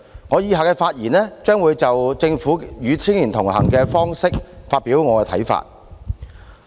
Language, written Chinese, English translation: Cantonese, 我接着的發言將會就政府"與青年同行"的方式發表我的看法。, In the ensuing speech I will express my views on the Governments approach to Connecting with Young People